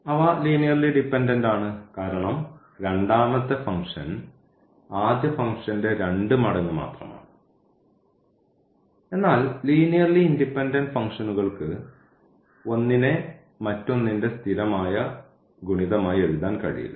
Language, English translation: Malayalam, So, they are linearly dependent because there the second function is just the 2 times of the first function so, but for linearly independent functions we cannot write as a constant multiple of the other